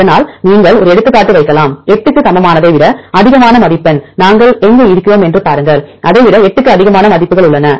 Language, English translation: Tamil, So, you can put an example, score of more than greater than equal to 8, and see where we have the values which are more than this greater than 8 here